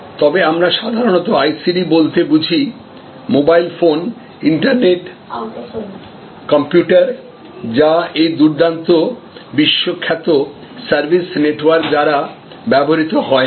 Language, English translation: Bengali, But, what we normally mean by ICT, the mobile phones, the internet, the computers, those are not used by this excellent world famous service network